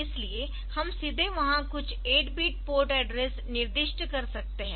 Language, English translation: Hindi, So, we can directly specify some 8 bit port address there